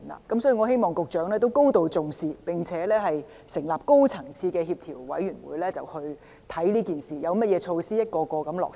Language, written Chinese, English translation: Cantonese, 所以，我希望局長能對此高度重視，並成立高層次的協調委員會檢視這事，研究有何措施可逐一落實。, I hope that the Secretary would take the issue most seriously and establish a high - level coordinating committee to look into the problem and examine the progressive implementation of feasible measures